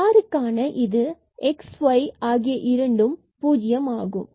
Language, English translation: Tamil, So for r, this is when x and y both have 0